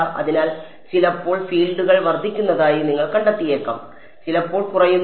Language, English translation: Malayalam, So, you might find sometimes the fields are increasing sometimes the decreasing